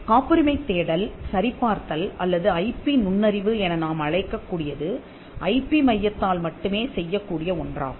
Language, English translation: Tamil, Patent search screening or what we can even call as IP intelligence is something which can only be done by an IP centre